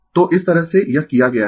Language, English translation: Hindi, So, this way it has been done